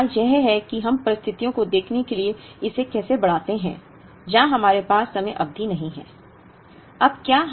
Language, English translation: Hindi, So, the question is how do we extend this to look at situations, where we do not have finite time periods